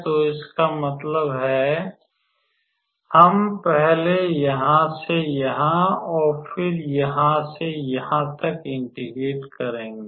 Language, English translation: Hindi, So that means, we will integrate first from here to here and then here to here